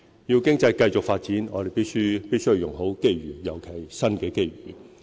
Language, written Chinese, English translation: Cantonese, 要經濟繼續發展，我們必須用好機遇，尤其是新的機遇。, In order to make continuous economic development we should make the best use of opportunities particularly new opportunities